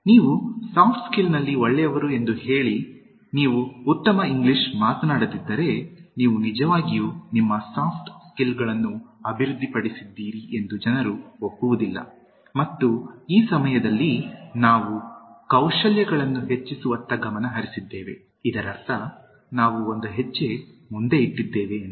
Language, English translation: Kannada, So, if you say that you are good in Soft Skills, but then you do not speak good English, people do not accept that you have actually developed your Soft Skills and this time we are focusing on Enhancing the skills, which means slightly we want to go one step ahead